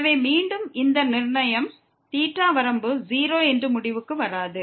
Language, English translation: Tamil, So, again this fixing theta will not conclude that the limit is 0